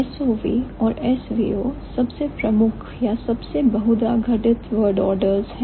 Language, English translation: Hindi, So, SOV and SVO are the most prominent or the most frequently occurred word orders